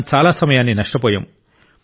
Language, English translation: Telugu, We have already lost a lot of time